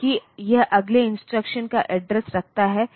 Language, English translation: Hindi, So, it holds because it holds the address of the next instruction